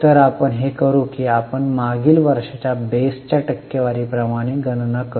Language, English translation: Marathi, So, what we will do is we will calculate this as a percentage to the base, that is to the last year